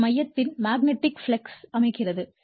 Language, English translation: Tamil, And your which sets up in magnetic flux in the core